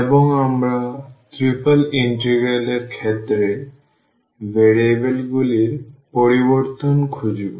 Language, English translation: Bengali, And we will look for the change of variables in case of a triple integral